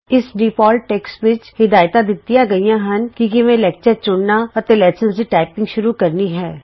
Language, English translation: Punjabi, This text lists instructions on how to select the lecture and begin the typing lessons